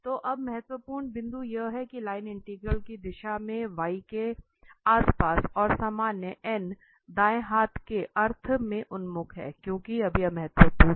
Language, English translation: Hindi, So now the important points the direction of the line integral around C and the normal n are oriented in a right handed sense, because now this is important